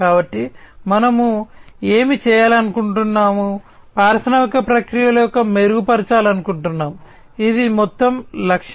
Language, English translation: Telugu, So, we want to do what, we want to improve industrial processes this is the overall objective